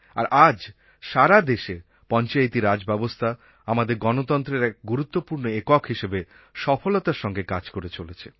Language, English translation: Bengali, Panchayati Raj system has gradually spread to the entire country and is functioning successfully as an important unit of our democratic system of governance